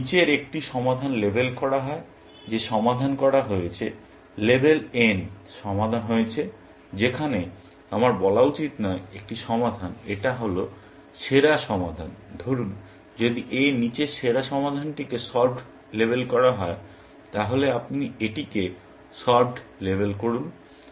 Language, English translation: Bengali, If a solution below is labeled, solved; label n solved where, I should not say, a solution; is the best solution, say, if the best solution below it is labeled solved, you label it solved